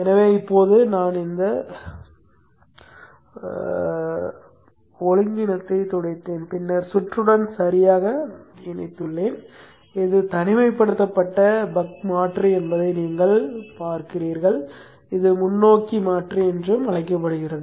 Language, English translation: Tamil, So now I have cleared up the clutter and then connected the circuit properly and you see that this is the isolated buck converter and this is called the forward converter